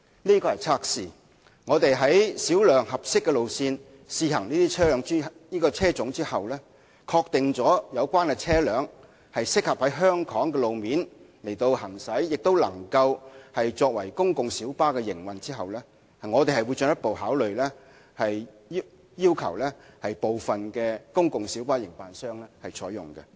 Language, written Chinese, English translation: Cantonese, 這是個測試，在小量合適的路線試行這個車種後，確定有關車輛適合在香港路面行駛和作為公共小巴營運，我們會進一步考慮要求部分公共小巴營辦商採用。, This is only a pilot test . Once the trial runs of such vehicle models on the few suitable routes have ascertained that the vehicles concerned are suitable for use on Hong Kong roads and in PLB operations we will further consider requiring some PLB operators to use them